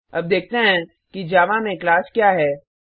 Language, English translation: Hindi, Now let us see what is the class in Java